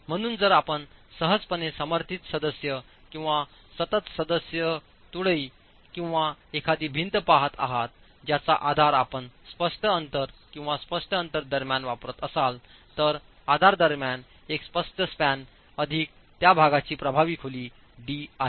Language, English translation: Marathi, So, if you are looking at a simply supported member or a continuous member, a beam or a wall, you use the smaller of the distance between the supports or the clear distance, a clear span between the supports plus an effective depth D of the section itself